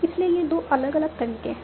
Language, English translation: Hindi, So these are two different strategies